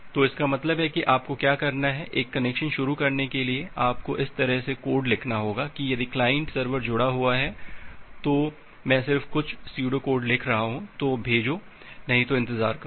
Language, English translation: Hindi, So that means to initiate a connection what you have to do, you have to write the code in this way that if connected, I am just writing some pseudo code, then send; else wait